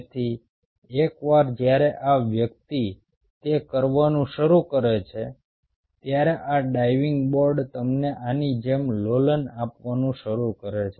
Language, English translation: Gujarati, so once this person start doing it, this diving board starts to, you know, oscillate like this